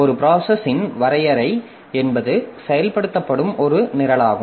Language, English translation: Tamil, A process is a program in execution